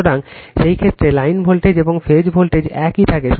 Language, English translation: Bengali, So, in that case your line voltage and phase voltage remains same right